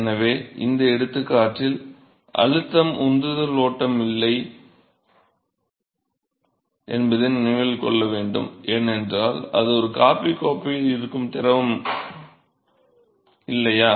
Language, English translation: Tamil, So, note that in this example there is no pressure driven flow, it is just fluid which is sitting in a coffee cup, right